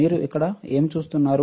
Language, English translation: Telugu, What you see here